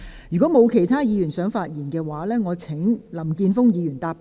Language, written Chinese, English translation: Cantonese, 如果沒有，我現在請林健鋒議員答辯。, If not I now call upon Mr Jeffrey LAM to reply